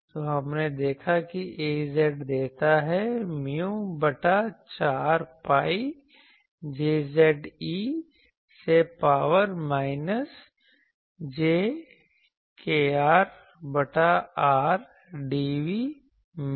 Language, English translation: Hindi, So, we saw that Az gives mu by 4 pi Jz e to the power minus jkr by r dv dashed ok